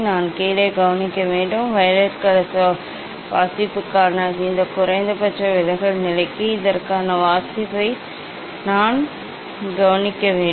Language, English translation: Tamil, I have to note down, I have to note down the reading for this for this minimum deviation position for violet colour take reading